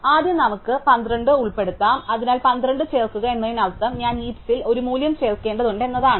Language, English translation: Malayalam, So, first let us insert 12, so insert 12 means I have to add a value to the heap